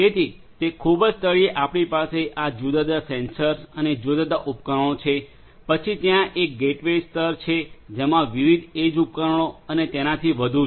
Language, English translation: Gujarati, So, at the very bottom we have these different sensors and different devices then there is a gateway layer which has different edge devices and so on